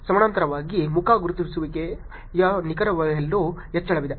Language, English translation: Kannada, In parallel there is also increase in face recognition accuracy